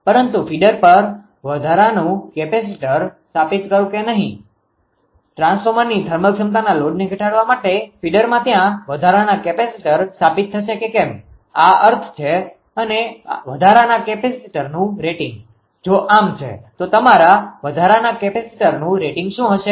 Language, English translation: Gujarati, But whether ah whether or not to install ah additional capacitor on the feeder, whether there additional capacitor will installed to the feeder such that to decrees the load to the thermal capability of the transformer this is the meaning and the rating of the additional capacitor, if so, then what will be the rating of the additional your capacitor right